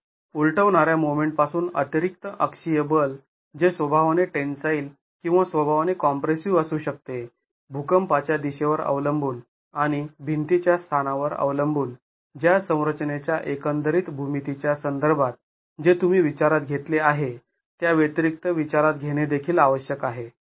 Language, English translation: Marathi, So, the additional axial force from the overturning moment which could be tensile in nature or compressive in nature depending on the direction of the earthquake and depending on the position of the wall with respect to the overall geometry of the structure that you are considering has to be in addition taken into account